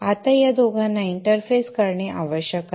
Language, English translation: Marathi, Now these two need to be interfaced